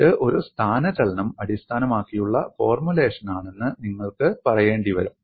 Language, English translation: Malayalam, You will have to simply say it is the displacement based formulation